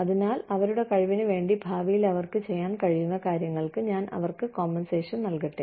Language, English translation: Malayalam, So, let me compensate them, for what they can do in future, for their ability